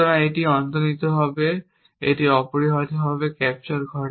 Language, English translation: Bengali, So, it implicitly captures it essentially